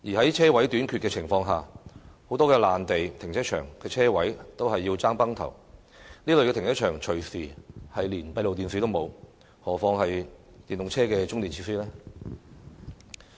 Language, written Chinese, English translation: Cantonese, 在車位短缺的情況下，很多臨時停車場的車位也供不應求，這類停車場隨時連閉路電視也沒有，何況是電動車的充電設施呢？, With insufficient parking spaces there is a shortage of parking spaces in many temporary car parks which even do not have CCTV installed let alone charging facilities for EVs